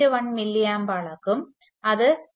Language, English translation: Malayalam, 1 milli amps, this causes 0